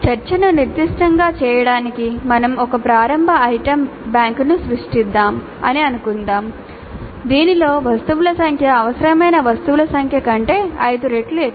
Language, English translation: Telugu, All kinds of variations are possible but in order to make the discussion specific let us assume that we will create an initial item bank in which the number of items is 5 times the required number of items